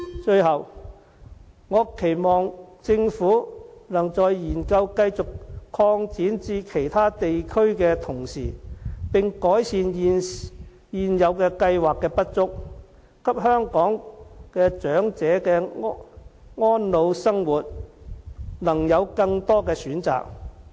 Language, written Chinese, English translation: Cantonese, 最後，我期望政府在研究繼續擴展至其他地區的同時，能改善現有計劃的不足，給香港長者的安老生活能有更多的選擇。, Lastly besides keeping on studying the extension of the above schemes to other places on the Mainland I hope the Government will also improve the existing schemes in order to rectify the deficiencies so that elderly people in Hong Kong can have more options to sustain their post - retirement lives